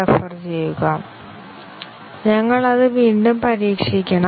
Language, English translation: Malayalam, We have to again test it